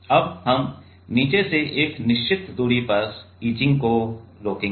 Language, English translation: Hindi, Now, we will stop the etching at a certain distance from the bottom